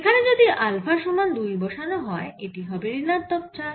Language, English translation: Bengali, if you put alpha is equal to two, here it will become minus four